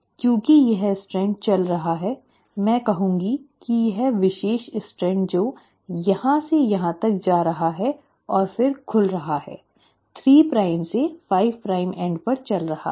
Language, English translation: Hindi, because this strand is running from, I would say this particular strand, which is going from here to here and is then opening, is running at the 3 prime to 5 prime end